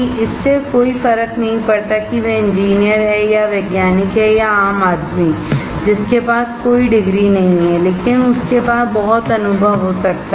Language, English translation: Hindi, It does not matter whether he is an engineer or a scientist or a common man who has no degrees, but he may have lot of experience